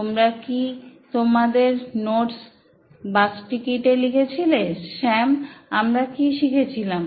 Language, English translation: Bengali, Did you write your notes in a bus ticket, what did we learn Sam